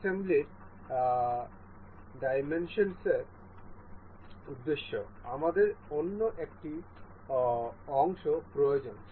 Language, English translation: Bengali, For the demonstration purpose of assembly we need another part